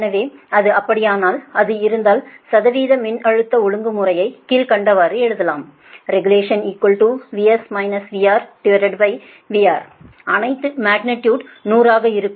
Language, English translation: Tamil, so if it is so, if it is so, then percentage voltage regulation can be written as that v s minus v r upon v r, all are magnitude into hundred right